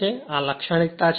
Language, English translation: Gujarati, So, this is the characteristic